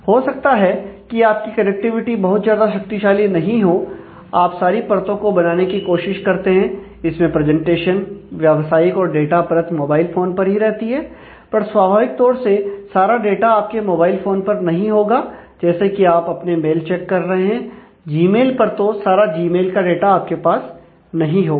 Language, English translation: Hindi, So, since your connectivity is not may not be very strong, you try to create all the layers of a presentation, business, as well as data on the mobile phone itself, but naturally all the data you will not have on your device ah, you are checking mails on the Gmail naturally, you will not have all the data on your Gmail